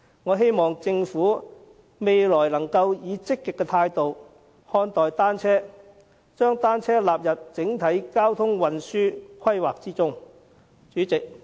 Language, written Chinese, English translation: Cantonese, 我希望政府未來可以積極的態度看待單車，將單車納入整體交通運輸規劃之中。, I hope the Government will adopt a positive attitude towards cycling in the future and include bicycles in its overall transport planning